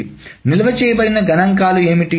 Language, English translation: Telugu, So what are the statistics that is stored